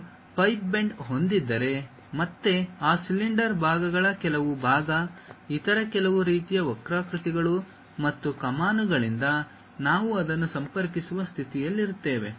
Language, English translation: Kannada, If we have a pipe bend, then again some part of that cylinder portions, some other things by other kind of curves and arcs; we will be in a position to connect it